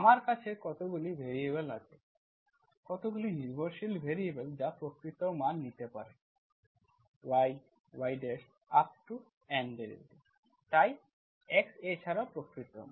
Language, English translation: Bengali, I have how many variables, how many dependent variables that can take real values, are y, y dash and y N derivatives, so R N Plus1, N cross, x, x takes also real values